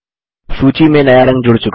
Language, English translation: Hindi, The new color is added to the list